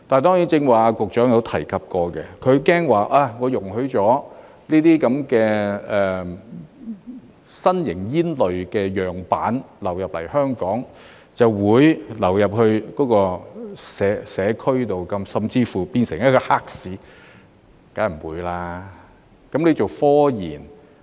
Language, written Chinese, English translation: Cantonese, 當然，局長剛才也有提及，她害怕容許這些新型煙類樣板流入香港，便會流入社區，甚至乎變成黑市，這個當然不會發生。, Certainly as mentioned by the Secretary earlier she is afraid that if these new tobacco samples are allowed to enter Hong Kong they will enter the community and even give rise to a black market . This will certainly not happen